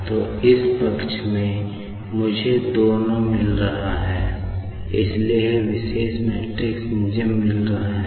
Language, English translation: Hindi, So, the this side I am getting these two, so this particular matrix I am getting; and this side I am getting this particular matrix